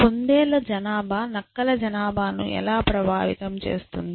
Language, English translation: Telugu, How does the population of rabbits influence the population of foxes